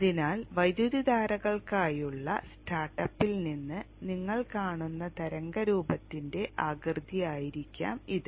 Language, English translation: Malayalam, So this may be the shape of the wave shape you will see from start up from the for the currents